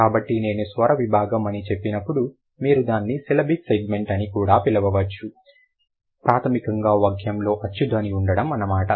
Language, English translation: Telugu, So, when I say vocalic segment, you may call it also a syllabic segment, primarily the presence of a vowel sound in the sentence